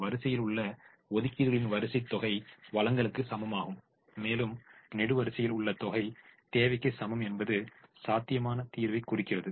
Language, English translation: Tamil, the row sum sum of the allocations in the row is equal to the supply and sum in the column is equal to the demand represents a feasible solution